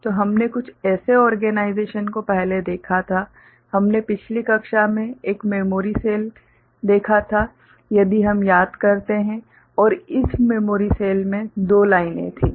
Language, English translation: Hindi, So, we had seen some such organization before right, we had seen a memory cell in the last class if we remember and this memory cell had 2 lines